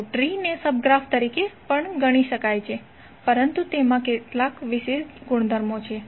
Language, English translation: Gujarati, So tree can also be consider as a sub graph, but it has some special properties